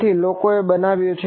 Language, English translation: Gujarati, So people have built